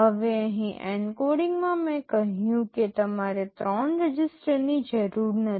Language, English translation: Gujarati, Now, here in the encoding I said you do not need three registers